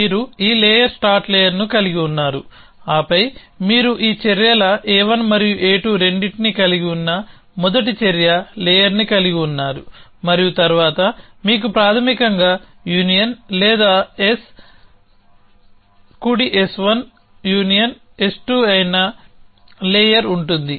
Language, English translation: Telugu, You have this layer start layer, then you have first action layer which includes both this actions A 1 and A 2 and, then you have layer which is basically the union or will be S, right S 1 union S 2